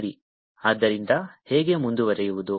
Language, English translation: Kannada, ok, so how to proceed